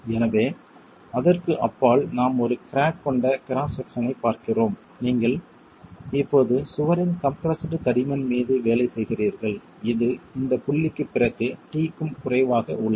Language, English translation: Tamil, So beyond that point, we're looking at a cracked cross section and you have now work on the compressed thickness of the wall, which is less than T after this point